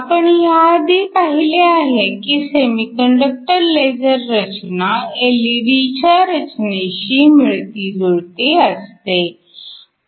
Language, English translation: Marathi, We said that the structure of a laser is very similar to that of an LED